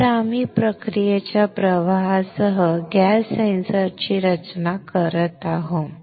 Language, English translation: Marathi, So, we are designing a gas sensor with a process flow